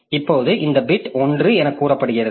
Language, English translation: Tamil, So now this bit is set to 0